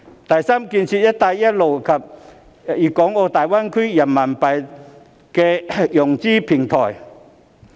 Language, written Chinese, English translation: Cantonese, 第三，建設"一帶一路"及大灣區人民幣投融資平台。, Third an RMB investment and financing platform should be established for the Belt and Road and the Greater Bay Area